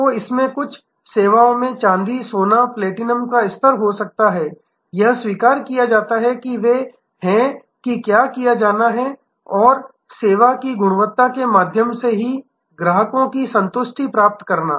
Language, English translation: Hindi, So, it can have silver ,gold ,platinum type of levels in some services; that is accepted and they are that must be done and obtaining customer satisfaction through service quality